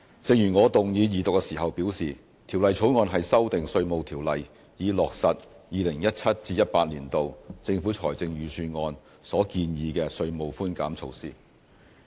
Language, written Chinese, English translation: Cantonese, 正如我動議二讀時表示，《條例草案》是修訂《稅務條例》，以落實 2017-2018 年度政府財政預算案所建議的稅務寬減措施。, As I said in moving the Second Reading the Bill amends the Inland Revenue Ordinance to give effect to the proposals concerning tax concessions in the Budget introduced by the Government for the 2017 - 2018 financial year